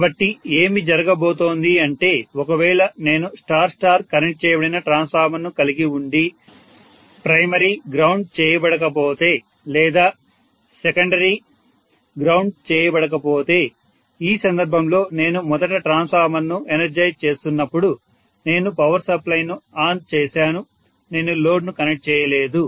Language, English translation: Telugu, So what is going to happen is if I am having a star star connected transformer, neither the primary is grounded, nor the secondary is grounded, in which case especially when I am initially energizing the transformer I just turn on the power supply I have not connected the load